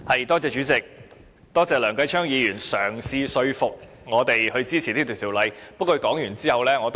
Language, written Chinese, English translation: Cantonese, 代理主席，多謝梁繼昌議員嘗試說服我們支持《2017年稅務條例草案》。, Deputy President I thank Mr Kenneth LEUNG for his attempt to lobby us to support the Inland Revenue Amendment No . 2 Bill 2017 the Bill